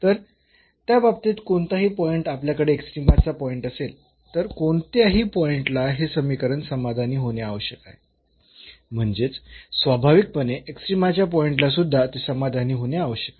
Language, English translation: Marathi, So, in that case whatever point we have the point of extrema this equation must be satisfied at any point; so, naturally at the point of extrema as well